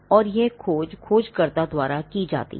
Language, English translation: Hindi, And this search is done by the searcher